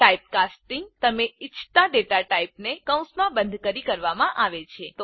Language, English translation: Gujarati, Typecasting is done by enclosing the data type you want within parenthesis